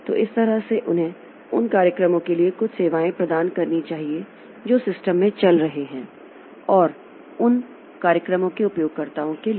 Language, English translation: Hindi, So that way they must provide certain services to both the programs that are running in the system and the users for those programs